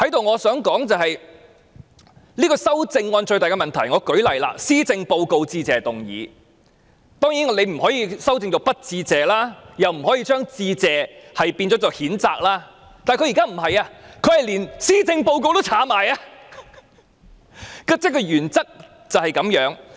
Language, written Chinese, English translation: Cantonese, 我想在此指出這項修正案最大的問題，舉例來說，施政報告的致謝議案，當然我們不可以修改為不致謝，又或將"致謝"修改為譴責，但現在梁美芬議員是連"施政報告"的字眼也刪去，原則便是這樣。, Take the Motion of Thanks as an example . The motion is meant to thank the Chief Executive for delivering a policy address . We certainly cannot amend the motion to the effect that Members do not thank the Chief Executive or amend the word Thanks into Condemnations